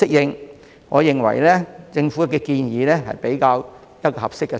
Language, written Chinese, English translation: Cantonese, 因此，我認為政府建議的步伐較為合適。, Therefore I consider the pacing proposed by the Government more appropriate